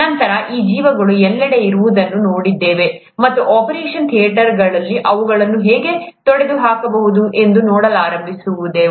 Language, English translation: Kannada, Then we saw that these organisms are present everywhere, and started looking at how to get rid of them in an operation theatre